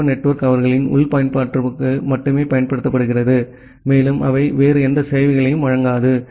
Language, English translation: Tamil, The military network is just used for their internal use and they doesn’t provide services to any other